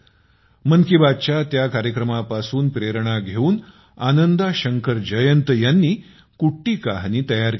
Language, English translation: Marathi, Inspired by that program of 'Mann Ki Baat', Ananda Shankar Jayant has prepared 'Kutti Kahani'